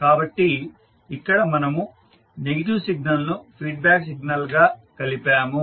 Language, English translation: Telugu, So here we have added negative as a feedback signal